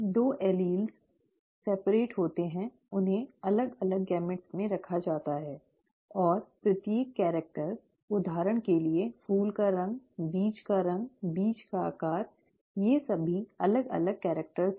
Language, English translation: Hindi, The two alleles separate, they are placed in separate gametes; and each character, for example flower colour, seed colour, seed shape, these are all different characters